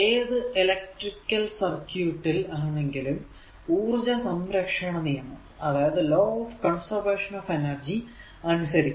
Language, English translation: Malayalam, So, now for any electric circuit law of conservation of energy must be obeyed right